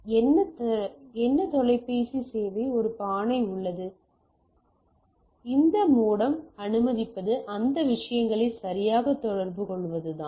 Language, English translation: Tamil, So, what telephone service there is a pot, and then what this modem allow is to communicate with this things right